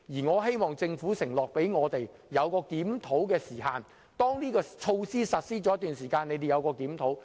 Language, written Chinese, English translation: Cantonese, 我希望政府向我們承諾設立檢討時限，當措施實施了一段時間後進行檢討。, I hope the Government will make an undertaking to us that a time frame for review will be set so as to review the situation after the measure has been in effect for some time